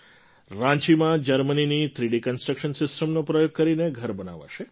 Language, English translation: Gujarati, In Ranchi houses will be built using the 3D Construction System of Germany